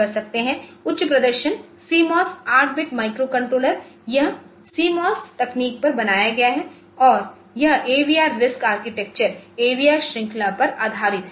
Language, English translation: Hindi, The high performance CMOS 8 bit microcontroller; So, it has it has built on CMOS technology and it is based on the AVR RISC architecture since a microcontroller for AVR series